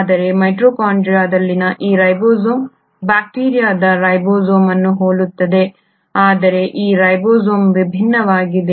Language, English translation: Kannada, But this ribosome in mitochondria is similar to the ribosome of bacteria while this ribosome is different